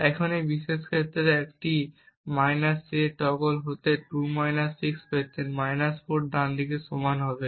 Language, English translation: Bengali, Now in this particular case he would have obtained a – a~ to be 2 – 6 to be equal to 4 right